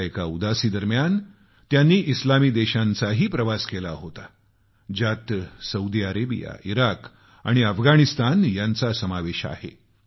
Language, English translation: Marathi, During one Udaasi, he widely travelled to Islamic countries including Saudi Arabia, Iraq and Afghanistan